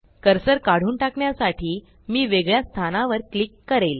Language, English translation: Marathi, I will click at a different location to move the cursor away